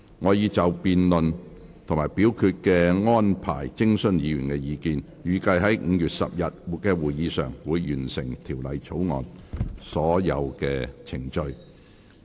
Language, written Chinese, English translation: Cantonese, 我已就辯論及表決安排徵詢議員意見，預計於5月10日的會議上，會完成《條例草案》的所有程序。, I have consulted Members on the debate and voting arrangements and I expect all proceedings on the Bill to be completed at the meeting on 10 May